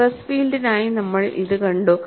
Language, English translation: Malayalam, We have seen it for stress field